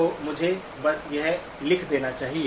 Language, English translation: Hindi, So let me just write that down